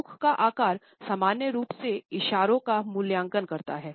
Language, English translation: Hindi, The shape of the mouth normally communicates evaluation gestures